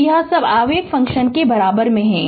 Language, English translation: Hindi, So, this is all regarding impulse function